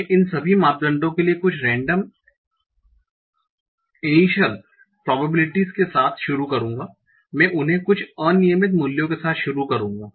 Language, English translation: Hindi, So what I will do, I'll start with some random initial probabilities for all these parameters